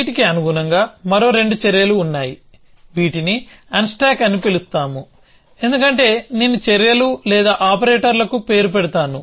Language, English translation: Telugu, Corresponding to these there are two more actions which we call as unstuck because I will just name the actions or operators